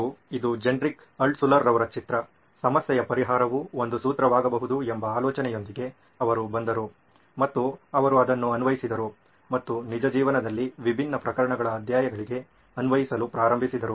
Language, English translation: Kannada, So this is his picture this is Genrich Altshuller, he came up with this idea that problem solving can actually be a formula and he applied it and started applying for different case studies in real life